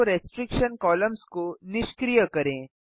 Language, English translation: Hindi, Deactivate Show Restriction columns